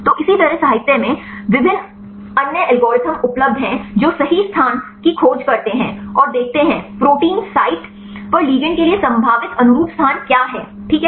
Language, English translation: Hindi, So, likewise there are various other algorithms available in the literature to search right the conformation space and see; what are the probable conforming space for the ligands to interact at the protein site, fine